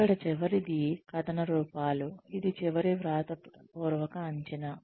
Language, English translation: Telugu, The last one here is, narrative forms, which is the final written appraisal